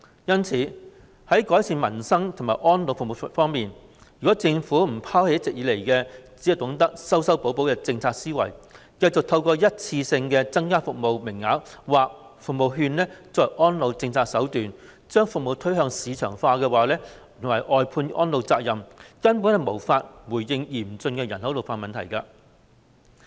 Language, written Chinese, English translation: Cantonese, 因此，在改善民生和安老服務方面，如果政府不拋棄一直以來"修修補補"的政策思維，只懂得以一次性增加服務名額或服務券作為安老政策手段，將服務推向市場化及外判安老責任，根本無法回應嚴峻的人口老化問題。, Therefore in terms of improving peoples livelihood and elderly services if the Government does not abandon the policy thinking of repairing and supplementing in which it only knows that it can increase the number of service places or service vouchers as a means of its elderly policy and push the service to market as well as outsourcing its responsibility for taking care the elderly it can never respond duly to the severe problem of population ageing